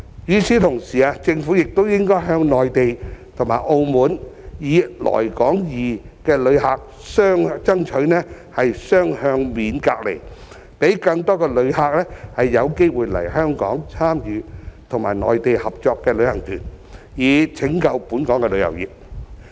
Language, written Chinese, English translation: Cantonese, 與此同時，政府亦應該向內地和澳門"來港易"的旅客爭取雙向免隔離，讓更多旅客有機會來港參與和內地合作的旅行團，以拯救本港的旅遊業。, At the same time the Government should likewise strive for bilateral quarantine exemption for Mainland and Macao visitors under the Come2hk Scheme so as to induce a greater number of tourists to visit Hong Kong and join local tours that are organized in cooperation with the Mainland and in turn rescue Hong Kongs tourism industry